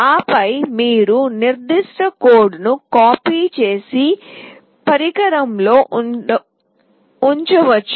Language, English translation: Telugu, And you can then copy that particular code and put it in the device